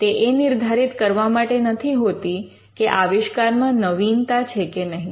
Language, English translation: Gujarati, It is not directed towards determining whether an invention involves novelty